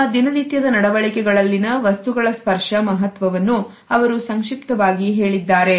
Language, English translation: Kannada, She has summed up the significance of the tactual artifacts in our day to day behaviors